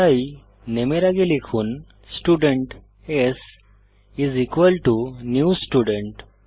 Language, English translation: Bengali, So before new type Student s is equal to new student